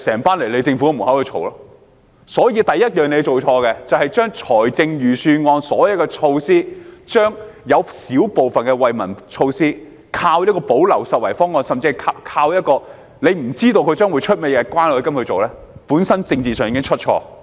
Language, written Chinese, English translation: Cantonese, 所以，政府做錯的第一件事，是在財政預算案的所有措施中，排除小部分惠民措施，依靠關愛基金的補漏拾遺方案來推行，甚至不知道關愛基金會推出甚麼措施，這本身在政治上已經出錯。, Therefore the first thing that the Government has done wrong is to exclude a small number of measures from the Budget and rely on CCFs gap - plugging solutions to implement them . Worse still it does not even know what measures CCF will roll out which is already a political mistake in itself